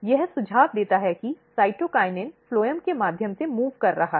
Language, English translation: Hindi, This suggest that cytokinin can move through the phloem